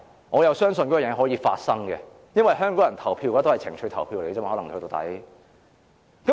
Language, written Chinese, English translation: Cantonese, 我相信這事會發生，因為香港人投票終究會以情緒投票。, I think such a scenario will take place for Hong Kong people ultimately cast their votes based on their emotional state